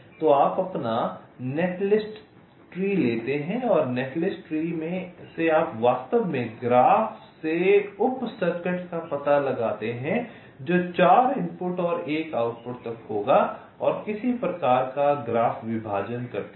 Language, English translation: Hindi, so you take your netlist tree and from the netlist tree you actually find out sub circuits from the graph which will be having upto four inputs and one outputs and do a some kind of graph partitioning